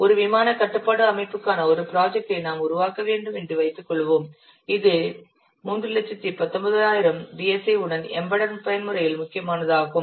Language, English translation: Tamil, Suppose you have to develop a project for a flight control system which is mission critical with 3190 DSA in embedded mode